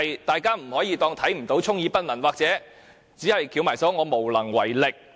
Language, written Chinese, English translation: Cantonese, 政府不可以當作看不到，充耳不聞，或只是翹起雙手，表示無能為力。, The Government must not turn a blind eye to the problem or merely claiming that nothing can be done